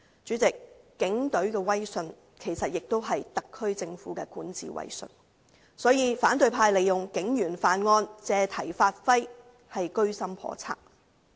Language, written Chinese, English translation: Cantonese, 主席，警隊的威信其實也代表特區政府的管治威信，所以反對派利用警員犯案的新聞，借題發揮，居心叵測。, President the credibility of the Police Force actually also represents the prestige of the SAR Government in governance . Hence the opposition camp has an ulterior motive in seizing on the news about crimes committed by police officers to make their drawn - out talk